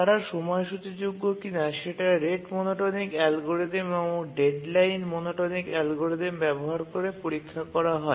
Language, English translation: Bengali, Now we need to check for their schedulability using the rate monotonic algorithm and the deadline monotonic algorithm